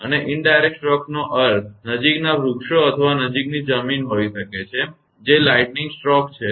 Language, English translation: Gujarati, And indirect stroke means may be nearby trees or nearby ground that lightning stroke has happened